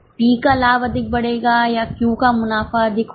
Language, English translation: Hindi, Will P's profits increase more or Q's profits increase more